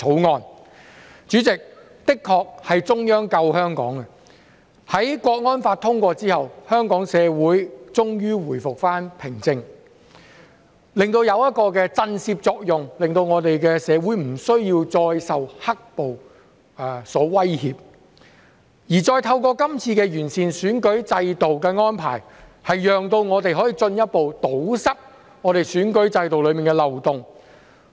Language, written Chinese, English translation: Cantonese, 代理主席，的確是中央救香港，在《香港國安法》通過後，香港社會終於回復平靜，起到一個震懾作用，使我們的社會不需要再受"黑暴"所威脅；而再透過這次的完善選舉制度的安排，讓我們可以進一步堵塞選舉制度中的漏洞。, Deputy President the Central Authorities have indeed saved Hong Kong . Finally the Hong Kong society has returned to peace and calmness after the passage of the Hong Kong National Security Law which has produced a shock - and - awe effect so that our society will no longer be threatened by the black - clad violence . And through the arrangements to improve the electoral system we can further plug the loopholes in the electoral system